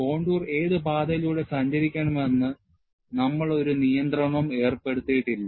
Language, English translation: Malayalam, We have not put any restriction, which path the contour should take